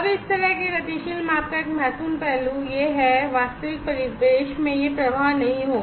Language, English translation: Hindi, Now, one important aspect of this kind of dynamic measurement is that in real ambient this flow is will not be there